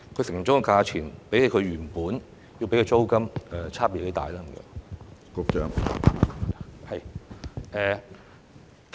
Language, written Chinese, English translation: Cantonese, 承租的價錢比他們原本支付的租金差別有多大呢？, How are the rents in their offers compared to those paid by them initially?